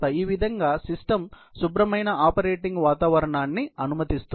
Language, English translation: Telugu, The system would permit a clean operating environment this way